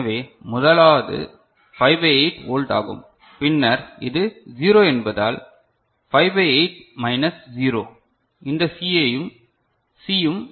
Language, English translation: Tamil, So, the first is 5 by 8 volt, then this since it is 0, 5 by 8 minus 0, this C is also 5 by 8 ok